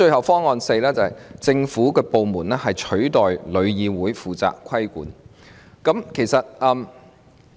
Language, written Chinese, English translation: Cantonese, 方案四，由政府部門取代旅議會負責規管。, Option 4 was to set up a government department to take over from TIC and be responsible for regulation